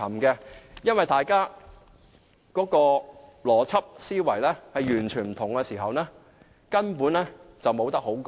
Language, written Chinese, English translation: Cantonese, 因為如果大家的邏輯思維完全不同，根本是無話可說。, If people have adopted different kinds of logic there is really nothing I can say